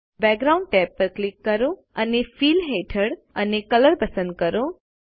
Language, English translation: Gujarati, Click the Background tab and under Fill and select Color